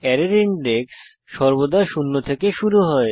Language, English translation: Bengali, Array index starts from zero always